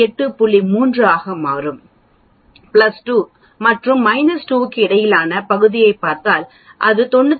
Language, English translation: Tamil, 3, if we look at the area between plus 2 sigma and minus 2 sigma it will be 95